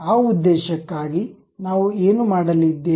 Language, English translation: Kannada, For that purpose, what we are going to do